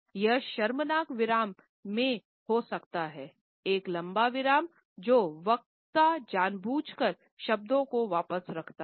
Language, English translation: Hindi, It can be an awkward in embarrassing pause, a lengthy pause when the speaker deliberately holds back the words